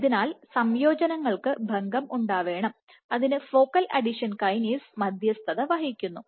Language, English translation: Malayalam, So, you have to have breakage of additions and that is mediated by focal adhesion kinase